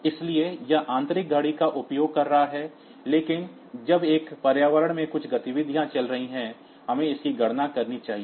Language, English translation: Hindi, So, it is using internal clock, but as long as some activity is going on in the environment, we should count that